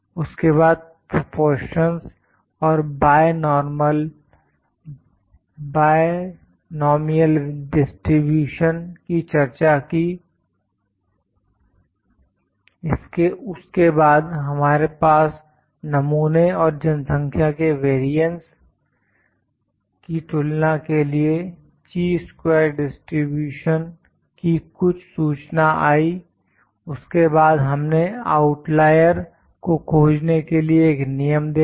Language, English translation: Hindi, Then I discussed about the proportions and binomial distribution, then we had some information on Chi square distribution to compare the variances of the sample and the population, then we saw a rule to detect the outliers